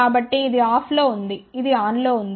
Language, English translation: Telugu, So, this is off, this is on